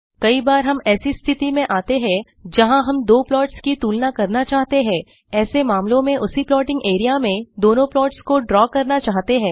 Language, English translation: Hindi, At times we run into situations where we want to compare two plots and in such cases we want to draw both the plots in the same plotting area